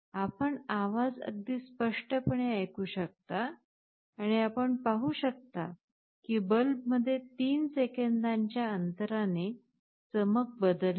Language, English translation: Marathi, You can hear the sound very clearly, and in the bulb you can see that with gaps of 3 seconds the brightness is changed